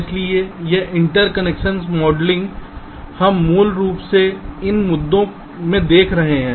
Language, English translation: Hindi, so this interconnection modeling, we shall be looking basically into these issues